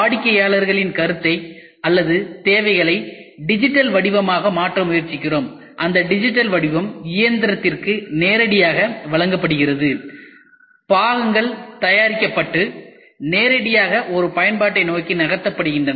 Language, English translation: Tamil, We try to take the customer feedback or requirements converted it into a digital form; and that digital form is given directly to the machine the parts are produced and directly moved towards an application